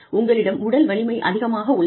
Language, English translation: Tamil, And, you have a lot of physical strength